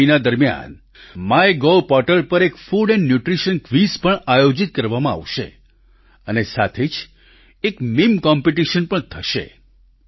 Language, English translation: Gujarati, During the course of the Nutrition Month, a food and nutrition quiz will also be organized on the My Gov portal, and there will be a meme competition as well